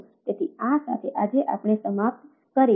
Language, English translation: Gujarati, so, ah, with this we will conclude today